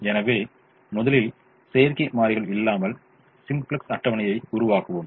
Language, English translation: Tamil, so let us first setup the simplex table without artificial variables